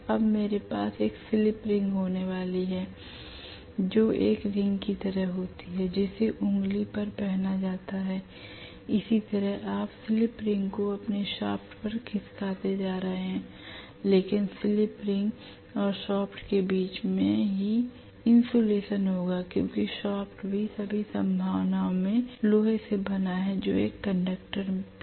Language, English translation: Hindi, Now I am going to have one slip ring that is it is like a ring which is put on the finger, similar to that you are going to have the slip ring sliding over your shaft but there will be insulation between the slip ring and the shaft itself because shaft is also made up of iron in all probability that is also a conductor